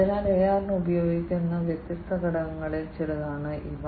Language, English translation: Malayalam, So, these are some of the different components that are used for AR